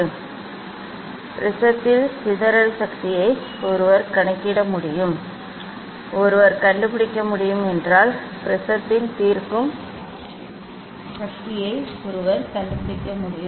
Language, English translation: Tamil, dispersive power of the prism one can calculate, one can find out, also one can find out the resolving power of the given prism